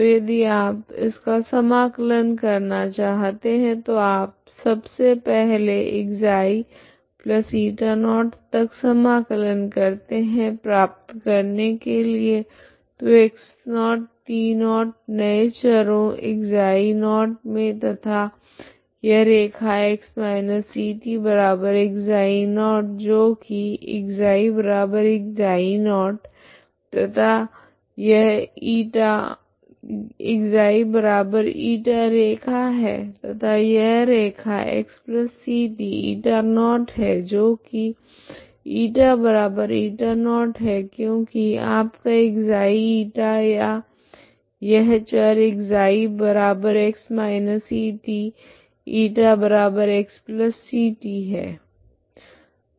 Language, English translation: Hindi, So if you try to integrate that so first you integrate first ξ to η0 so integrate integrate from ξ to η0 to get so (x0, t0) in the new variables ξ0, and this line x−ct=ξ0 that is ξ equal to ξ0and this is ξ equal to Eta line and this line that is x+ct equal to η0 that is ηequal to η0 because your ξ , η or these are the variables ξ=x−ct ,η=x+ct